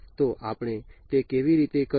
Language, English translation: Gujarati, So, how do we do it